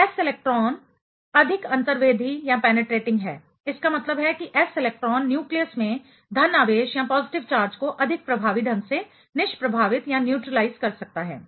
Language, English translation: Hindi, So, s electron being more penetrating; that means, s electron can be neutralizing the positive charge at the nucleus more effectively